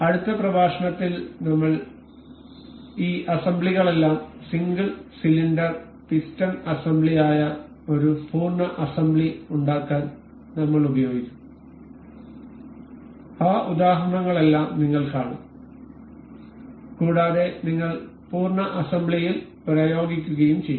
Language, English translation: Malayalam, In the next lecture I will go with the I will use all of these assemblies to make one full assembly that is single cylinder piston assembly and we will see all of those examples and we will apply those in the full assembly